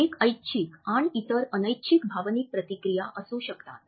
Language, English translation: Marathi, One may be voluntary and the other may be involuntary emotional response